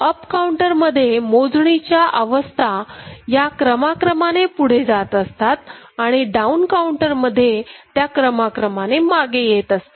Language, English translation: Marathi, In up counter the counting states sequentially go up, and in down counter it is sequentially coming down ok